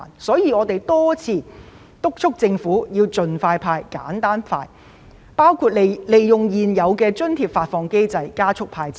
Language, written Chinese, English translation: Cantonese, 所以，我們多次敦促政府盡快"派錢"，程序亦要簡化，包括考慮利用現有的津貼發放機制加速"派錢"流程。, Therefore we have repeatedly urged the Government to disburse cash as soon as possible and the procedures should be simplified . For example the Government can consider using the existing mechanism for subsidy payment to speed up the cash payout process